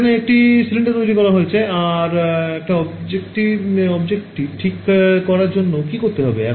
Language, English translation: Bengali, So, they making a cylinder over here all of this is what you would do to make the object ok